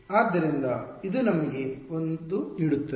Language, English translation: Kannada, So, this gives us a